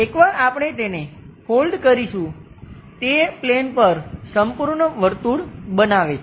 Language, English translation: Gujarati, Once we fold that, it forms complete circle on the plane